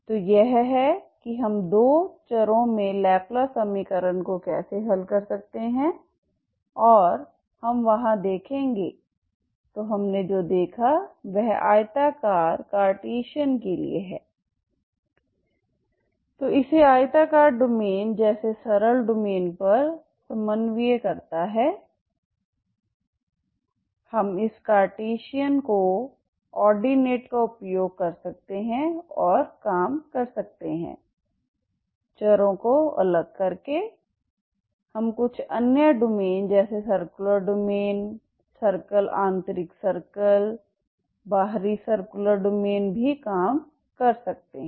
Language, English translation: Hindi, So this is how we can solve the laplace equation in two variables and we will see in there so what we have seen is for rectangle Cartesian co ordinates this on the simpler domain like rectangular domain we can use this Cartesian co ordinates and work out separation of variables we can also work out certain other domains such as circular domains, circle, interior circle, exterior circular domain